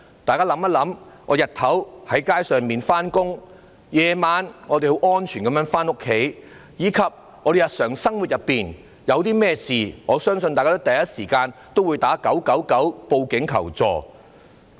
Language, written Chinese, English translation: Cantonese, 大家想一想，我們白天走在街上，夜晚我們安全回到家中，以及在日常生活中，遇到甚麼問題的時候，我相信大家第一時間會致電999報警求助。, Just consider this During the day we walk in the streets and at night we can go home safely . In our daily life when any problem arises I believe all of us would call 999 to seek help as soon as possible